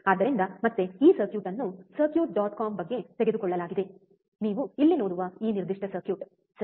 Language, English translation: Kannada, So, again this circuit is taken from all about circuits dot com, this particular circuit that you see here, right